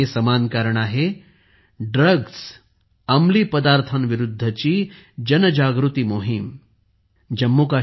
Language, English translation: Marathi, And this common cause is the awareness campaign against drugs